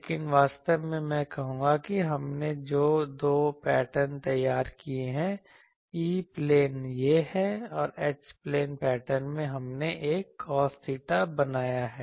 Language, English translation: Hindi, But actually I will say that the 2 patterns we have drawn, E plane is this and H plane pattern here we have made a cos theta thing